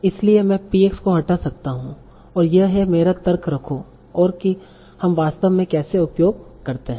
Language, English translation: Hindi, So I can as well remove PX and keep my argument and that's how we actually use